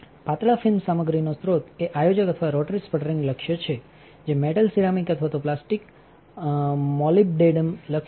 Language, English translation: Gujarati, The source of the thin film material is a planner or rotary sputtering target of metal ceramic or even plastic molybdenum targets